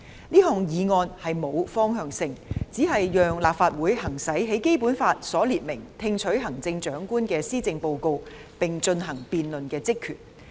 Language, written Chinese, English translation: Cantonese, 這項議案並無方向性，只是讓立法會行使《基本法》所列明"聽取行政長官的施政報告並進行辯論"的職權。, It is intended only for the Legislative Council to exercise the power to receive and debate the policy addresses of the Chief Executive as stipulated in the Basic Law